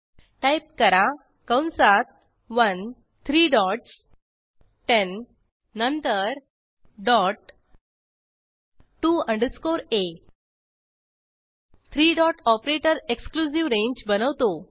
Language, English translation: Marathi, Type Within brackets 1 three dots 10 then dot to underscore a Three dot operator creates an exclusive range